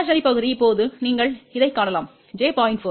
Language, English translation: Tamil, The imaginary part is now you can see this is minus j 0